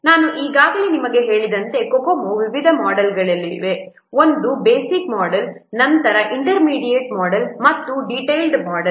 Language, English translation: Kannada, As I have already told you there are different models of Kokomo, the fundamental one the basic model, then intermediate model and detailed model